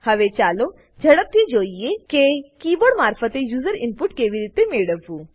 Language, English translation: Gujarati, Now let us quickly see how to get user input via keyboard